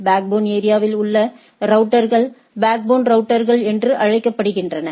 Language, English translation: Tamil, Routers within the backbone area are called backbone routers